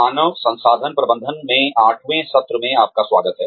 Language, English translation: Hindi, Welcome back, to the eighth session in, Human Resources Management